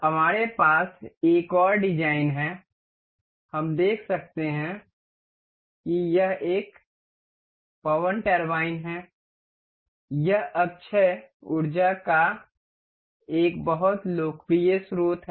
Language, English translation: Hindi, Another design we have is we can see it is wind turbine, it is a very popular source of renewable energy